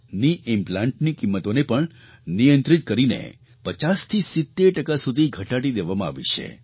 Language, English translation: Gujarati, Knee implants cost has also been regulated and reduced by 50% to 70%